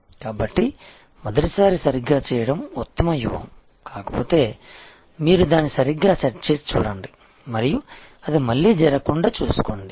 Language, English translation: Telugu, So, best strategy is to do it right the first time, but if not, then see you set it right and absolutely ensure that, it does not happen again